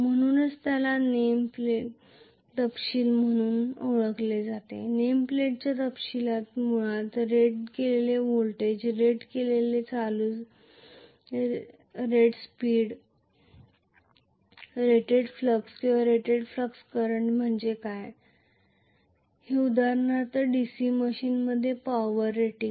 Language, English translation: Marathi, So, that is known as the name plate details, the name plate details will carry basically what is the rated voltage, rated current, rated speed, rated flux or rated field current for example in a DC machine, the power rating